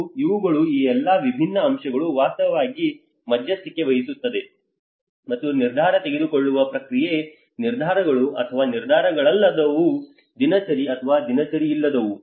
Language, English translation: Kannada, And these, these all different factors actually mediate and influence the decision making process, decisions or non decisions, routine or non routine